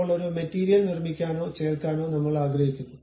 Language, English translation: Malayalam, Now, I would like to make or perhaps add a material